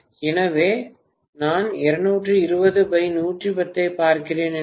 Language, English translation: Tamil, So if I am looking at 220 by 110 V, right